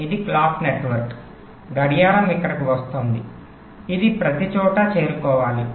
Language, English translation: Telugu, this is the clock network, the clock is coming here, it must reach everywhere